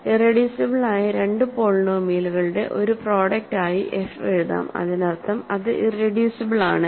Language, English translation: Malayalam, So, f can be written as a product of two irreducible polynomials that means, it is not irreducible